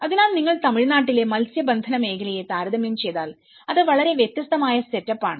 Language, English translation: Malayalam, So, it was not if you compare in the fishing sector in Tamil Nadu it was very quiet different set up